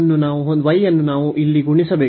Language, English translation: Kannada, So, y we have has to be multiplied here